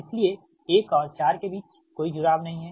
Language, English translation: Hindi, so there is no connection between one and four